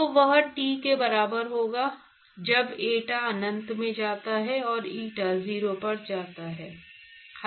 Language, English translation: Hindi, So, that will be T equal to when eta goes to infinity eta goes to 0